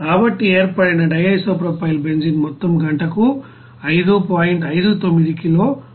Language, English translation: Telugu, So the amount of DIPB formed is simply 5